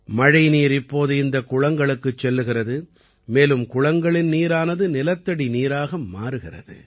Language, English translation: Tamil, Rain water now flows into these wells, and from the wells, the water enters the ground